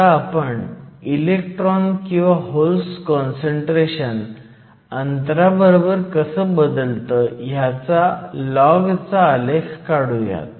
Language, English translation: Marathi, So, if we plot a log of how the concentration of electrons or holes changes as a function of distance